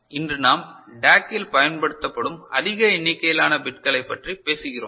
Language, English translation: Tamil, And today we are talking about larger number of bits used in DAC